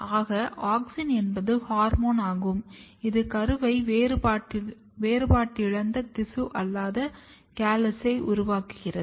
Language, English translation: Tamil, So, auxin is the hormone which causes the embryo to make dedifferentiated tissue or the callus